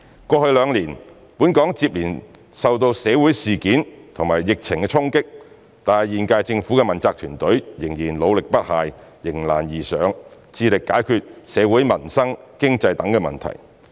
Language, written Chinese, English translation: Cantonese, 過去兩年，本港接連受社會事件及疫情衝擊，但現屆政府的問責團隊仍然努力不懈，迎難而上，致力解決社會、民生、經濟等問題。, Over the past two years Hong Kong has been impacted by social events and the epidemic but the accountability team of the current - term Government is still working hard and rising to the challenges ahead endeavouring to resolve social livelihood economic and other issues